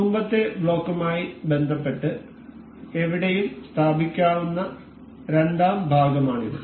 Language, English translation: Malayalam, And this is the second part that can be placed anywhere in relation to the previous block